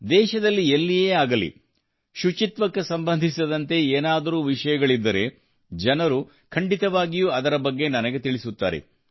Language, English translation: Kannada, If something related to cleanliness takes place anywhere in the country people certainly inform me about it